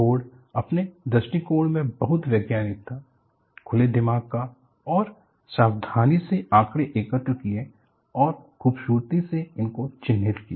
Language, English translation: Hindi, So, the board was very scientific in its approach, open minded and carefully collected voluminous data and beautifully characterized it